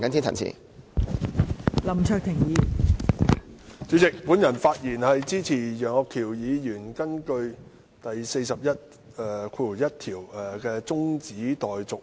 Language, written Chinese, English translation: Cantonese, 代理主席，我發言支持楊岳橋議員根據《議事規則》第401條動議的中止待續議案。, Deputy President I rise to speak in support of the adjournment motion moved by Mr Alvin YEUNG under Rule 401 of the Rules of Procedure RoP